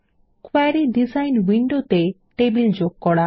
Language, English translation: Bengali, Add tables to the Query Design window Select fields